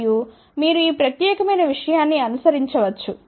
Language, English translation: Telugu, And, then you can keep following this particular thing